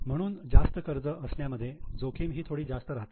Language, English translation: Marathi, That is why having more debt is relatively more risky